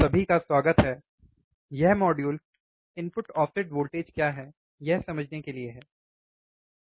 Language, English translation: Hindi, Welcome, this module is for understanding what is input offset voltage, alright